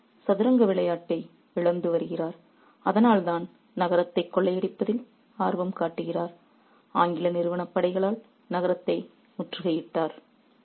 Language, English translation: Tamil, He is losing the game of chess, which is why he is interested in the ransacking of the city, in the besiege of the city by the English company forces